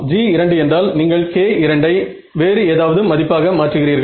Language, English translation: Tamil, Yes, G 2 means you change the k 2 whichever the value